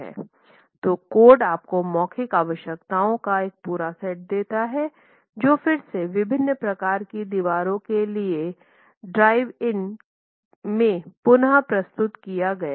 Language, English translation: Hindi, So what the code gives you an entire set of verbal requirements which is again reproduced here in this drawing for the different types of walls